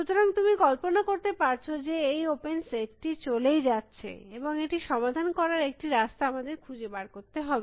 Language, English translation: Bengali, So, as you can imagine this, the open is set is going and going and we have to find a way of solving this